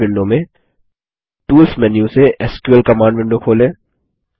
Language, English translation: Hindi, In the Base window, let us open the SQL Command Window from the Tools menu